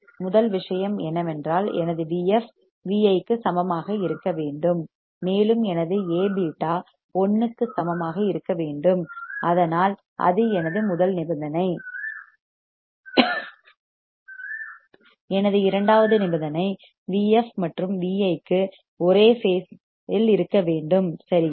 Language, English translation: Tamil, First thing is that my V f should be equal to V i and to get that to get that my A beta should be equal to 1, so that is my first condition; my second condition is the V f and V i should have same phase right